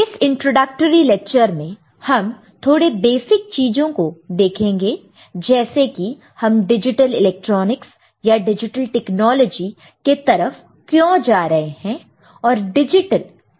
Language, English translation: Hindi, And in the introductory lecture we shall cover few basic things, why we are going for this digital electronics or digital technology